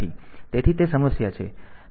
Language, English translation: Gujarati, So, that is the problem